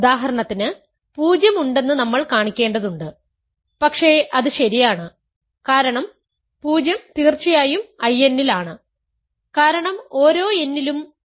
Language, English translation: Malayalam, For example, we have to show that 0 is there, but that is OK, because 0 is in I n of course, for every n so 0 is there